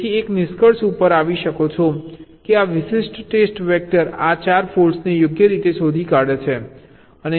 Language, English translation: Gujarati, so you can conclude that this particular test vector detects these four faults right